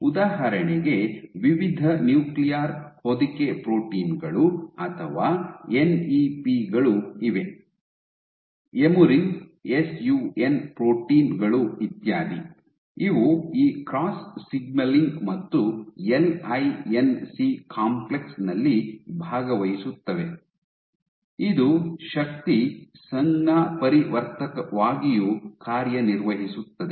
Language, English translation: Kannada, There are various nuclear envelope proteins or NEPs for example, emerin SUN proteins etcetera, these participate in this cross signaling and the LINC complex, serves as a force transducer ok